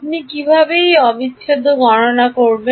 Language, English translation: Bengali, How would you calculate this integral